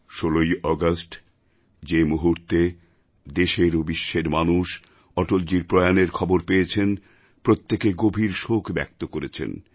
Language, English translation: Bengali, As soon as the people in our country and abroad heard of the demise of Atalji on 16th August, everyone drowned in sadness